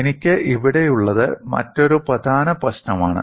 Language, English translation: Malayalam, And what I have here is another important issue